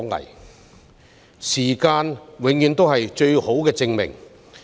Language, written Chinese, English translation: Cantonese, 然而，時間永遠是最佳證明。, Yet time is always the best testimony to truth